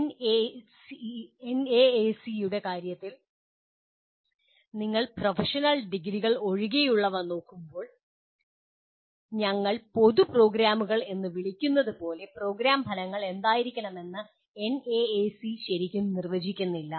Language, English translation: Malayalam, In case of NAAC, when you are looking at other than professional degrees, like what we call as general programs, NAAC really does not identify what should be the program outcomes